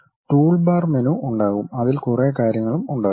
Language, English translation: Malayalam, There will be something like toolbars menu and many things will be there